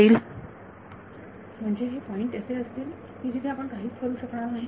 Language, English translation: Marathi, Sir then there will be points where we cannot do anything